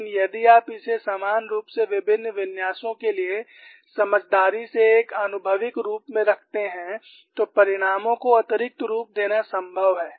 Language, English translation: Hindi, But if you put it an empirical form intelligently for a variety of similar configurations, it is possible to extrapolate the results